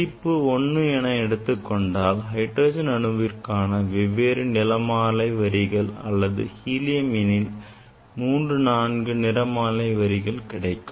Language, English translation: Tamil, if you take 1 only 1 order in 1 order different colors in case of hydrogen or helium you will get 3 4 5 spectral lines